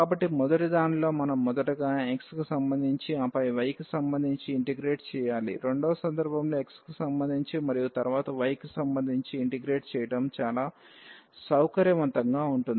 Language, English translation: Telugu, So, in the first one we have realize that, we should first integrate with respect to x and then with respect to y while, in the second case it is much more convenient to first integrate with respect to x and then with respect to y